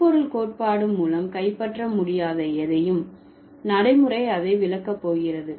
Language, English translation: Tamil, And anything that cannot be captured by semantic theory, pragmatics is going to explain that